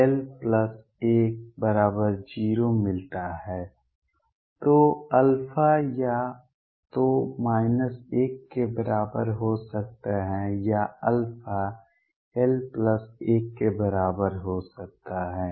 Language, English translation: Hindi, So, alpha could be either equal to minus l or alpha could be equal to l plus 1